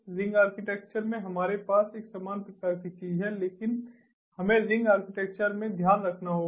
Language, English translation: Hindi, in the ring architecture we have a similar kind of thing, but we have to keep in mind that in the ring architecture